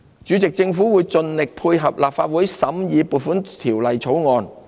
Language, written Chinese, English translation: Cantonese, 主席，政府會盡力配合立法會審議《2019年撥款條例草案》。, President the Government will make every effort to facilitate the scrutiny of the Appropriation Bill 2019 by the Legislative Council